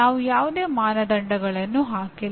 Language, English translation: Kannada, We have not put any criteria